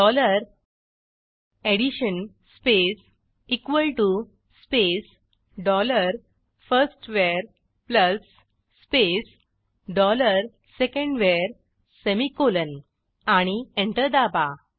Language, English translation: Marathi, For this type dollar addition space equal to space dollar firstVar plus space dollar secondVar semicolonand Press Enter